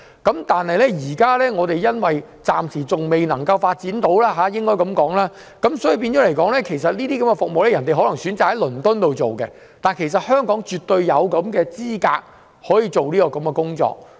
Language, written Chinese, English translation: Cantonese, 但是，由於我們暫時仍未能提供這些服務，船隻便選擇在倫敦接受這些服務。香港其實絕對有能力可以做這些工作。, However as these services are not available in Hong Kong for the moment these vessels have turned to London for these services although Hong Kong is well capable of providing such services